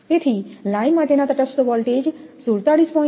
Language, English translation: Gujarati, So, line to neutral voltage is 47